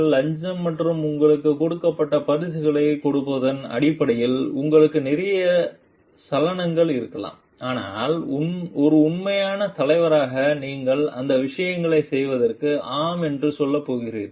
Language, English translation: Tamil, Where maybe you have a lot of temptation in terms of bribes and gives gifts given to you, but as an authentic leader are you going to say yes to do those things